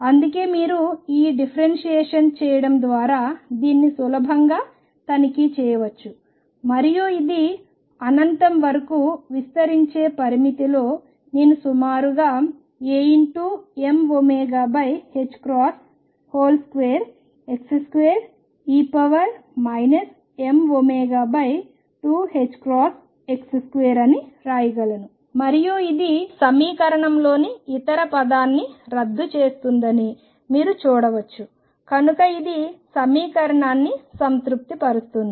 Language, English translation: Telugu, That is why you can easily check this by doing this differentiation and which in the limit of extending to infinity, I can write approximately as A m omega over h cross square x square e raised to minus m omega over 2 h cross x square and you can see that this cancels the other term in the equation therefore, it satisfies the equation